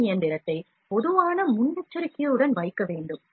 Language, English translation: Tamil, Also we need to place this machine, it is general precaution